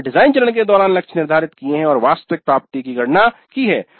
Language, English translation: Hindi, We have set the targets during the design phase and now we compute the actual attainment